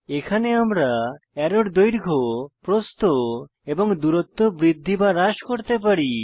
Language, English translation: Bengali, Here we can increase or decrease Length, Width and Distance of the arrows